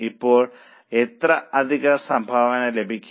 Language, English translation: Malayalam, Now, how much extra contribution will be generated